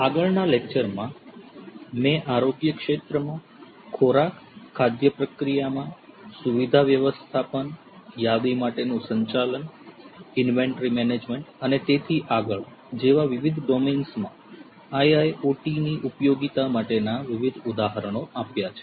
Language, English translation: Gujarati, In the previous lectures, I have given you different examples of application of IIOT in different domains such as healthcare, food, food processing, facility management, inventory management and so on and so forth